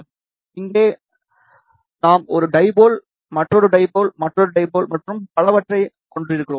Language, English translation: Tamil, So, here we have a one dipole, another dipole, another dipole and so on